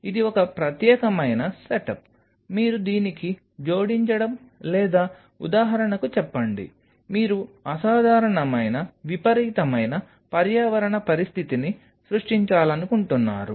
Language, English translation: Telugu, This is one specialize setup your adding in to it or say for example, you wanted to create certain situation of unusual extreme environment situation